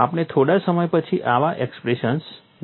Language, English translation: Gujarati, We would see such expressions a little while later